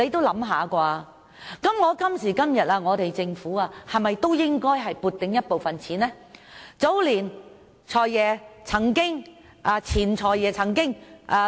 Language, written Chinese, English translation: Cantonese, 那麼，今時今日的政府有盈餘，是否也應該撥出部分錢供兒童發展之用呢？, Then as today the Government has a surplus should it not allocate part of it to children development?